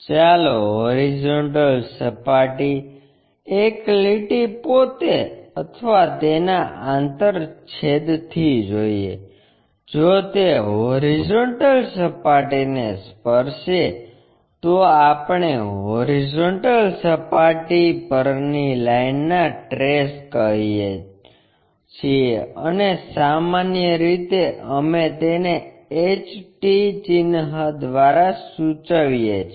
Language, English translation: Gujarati, Let us look at with horizontal plane, a line itself or its intersection; if it touches horizontal plane, we call trace of a line on horizontal plane and usually we denote it by HT symbol